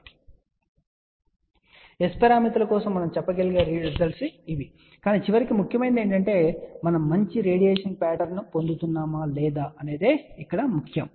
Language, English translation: Telugu, See these are the results which we can say for S parameters, but ultimately what is important is whether we are getting a decent radiation pattern or not and this one here shows the gain